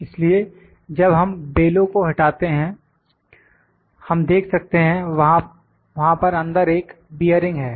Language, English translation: Hindi, So, may you removing the bellow from here, when we remove the bellow we can see there is a bearing inside